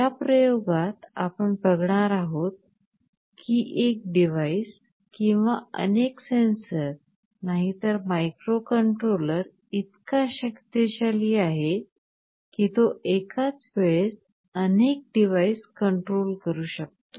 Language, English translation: Marathi, Now in the experiment that we shall be showing you in this lecture, we shall demonstrate that not only one device or one sensor, the microcontroller is powerful enough to control multiple devices at the same time